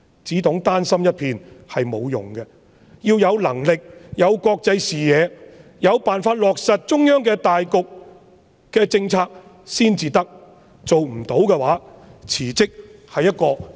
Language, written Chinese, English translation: Cantonese, 只懂丹心一片是沒有用的，要有能力和國際視野，有辦法落實中央對大局的政策才可，如果做不到，辭職是有榮譽地退下。, It is useless if the Chief Executive only has a loyal heart . She should be capable and possess an international vision as well as being able to implement CPGs policies on the overall situation . Having failed all this resigning from office will be an honourable retreat